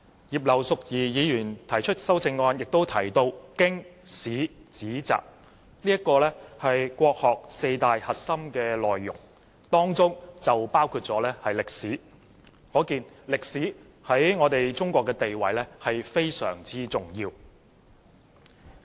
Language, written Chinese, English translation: Cantonese, 葉劉淑儀議員的修正案提到"經史子集"四大核心內容，當中包括歷史，可見歷史在中國的地位非常重要。, Mrs Regina IP mentioned in her amendment the four core elements of Chinese classical works historical works philosophical works and belles - lettres history being one of which has a very important status in China